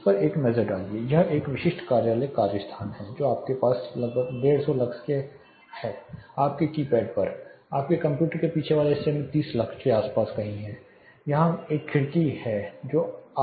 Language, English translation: Hindi, (Refer Slide Time: 15:44) Take a look at this; this is a typical office work space you have around close to 150 lux on your keypad much lower somewhere around 30 lux in your rear side of your computer there is a window glazing here